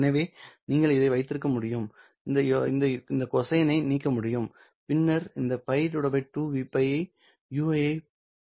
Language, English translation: Tamil, So you can have this, you know, you can remove all this cosine and then all this pi by 2 v pi can be absorbed into a constant to obtain Ui of T